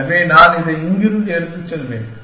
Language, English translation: Tamil, So, I will take this one from here